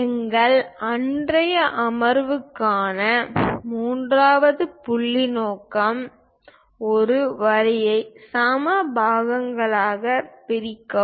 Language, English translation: Tamil, The third point objective for our today's session is; divide a line into equal parts